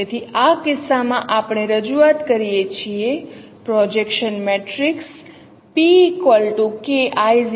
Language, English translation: Gujarati, So in this case we represent say the projection matrix is K I 0